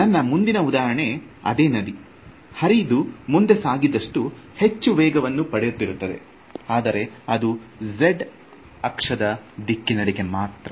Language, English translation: Kannada, The next example that I have is like the river, but it is catching speed as it goes along the z direction